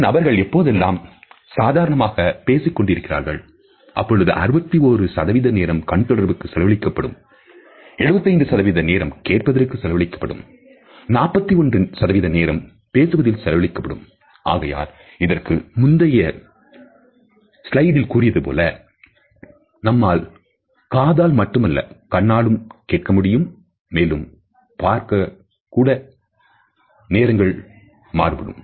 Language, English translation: Tamil, When two people are talking in a casual manner eye contact occurs about 61% of the time about half of which is mutual eye contact and people make eye contact 75% of the time while they are listening and 41% of the time while speaking and that is why in one of the previous slides we have talked about, that we should be able to listen through our eyes and not only through our ears, but the length of the gaze also varies